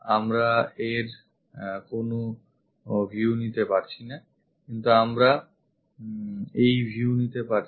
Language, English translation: Bengali, So, we do not pick view of this, but we pick this view